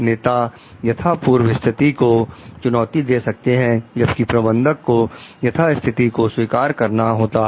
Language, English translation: Hindi, Leaders can challenge the status quo; managers accept the status quo